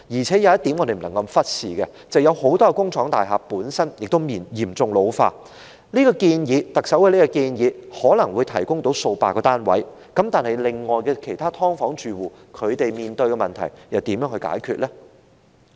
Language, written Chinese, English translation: Cantonese, 再者，不能忽視的一點是，很多工廠大廈本身嚴重老化，特首的建議可能會提供數百個單位，但其他"劏房"住戶面對的問題又如何解決呢？, Furthermore there is one point that we cannot neglect and that is many industrial buildings are in an extremely dilapidated condition and while a few hundred units may be provided under the proposal of the Chief Executive how can we solve the problems faced by other households dwelling in subdivided units?